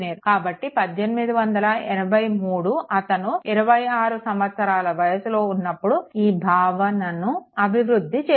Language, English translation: Telugu, So, 1883, he give this concept when he was 26 years of age right